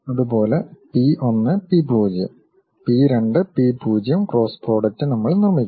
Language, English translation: Malayalam, Similarly P 1, P 0; P 2, P 0 cross products we will construct